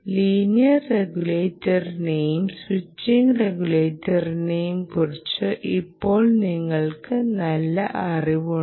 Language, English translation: Malayalam, you know, make a nice comparison between linear regulators and switching regulators